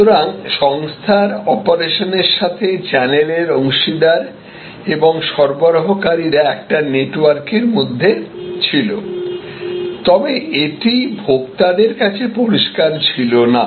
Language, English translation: Bengali, So, the channel partners, the organizational operations and the organisations suppliers were in a network, but which was sort of opaque to the consumer